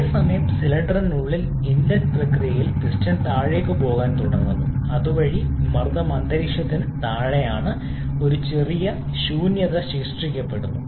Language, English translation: Malayalam, Whereas in the inside the cylinder as piston starts to go down in the inlet process the pressure falls below atmospheric thereby creating a slight vacuum